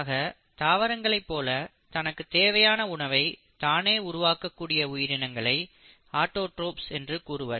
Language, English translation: Tamil, Organisms which can synthesise their own food like plants are called as autotrophs